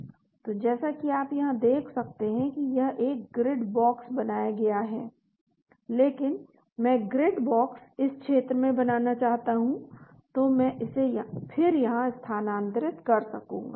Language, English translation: Hindi, So as you can see here it is created a grid box but , I want to make the grid box in this region so I can then move it here